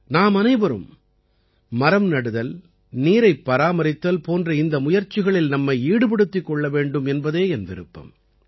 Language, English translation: Tamil, I would like all of us to be a part of these efforts to plant trees and save water